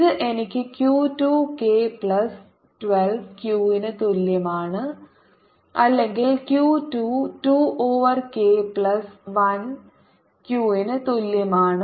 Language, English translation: Malayalam, this gives me q two, k plus one is equal to two q, or q two is equal to two over k plus one q, and from this i can calculate q one, which is going to be equal to q two minus q, which is two over k plus one minus one q, which is equal to one minus k over k plus one q, or minus k minus one over k plus one q